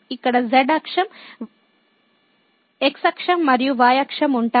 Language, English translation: Telugu, So, here the axis, the axis and the axis